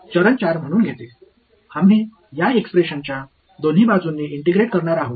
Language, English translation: Marathi, Takes as a step 4 we are going to integrate on both sides of this expression ok